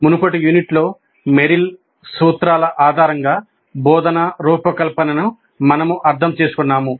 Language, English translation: Telugu, In the earlier unit, we understood instruction design based on Merrill's principles